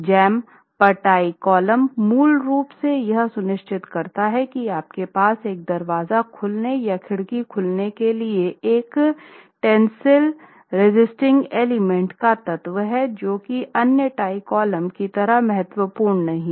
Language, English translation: Hindi, Tie columns at jams are basically to ensure that you have a tensile resisting element at a door opening or a window opening and this is not as critical as the other tie columns and the number of bars here is reduced